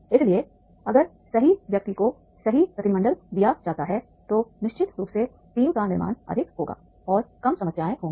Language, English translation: Hindi, So, therefore if the right person is given the right delegation, definitely the team building will be more and less problems will be there